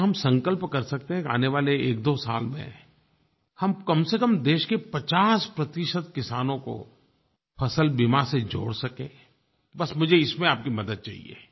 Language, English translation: Hindi, Can we pledge to reach out to at least 50 percent of the country's farmers with the crop insurance over the next 12 years